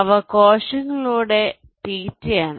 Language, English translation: Malayalam, those are the feed through cells